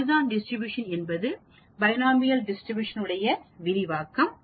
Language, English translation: Tamil, Again, Poisson is an extension of Binomial Distribution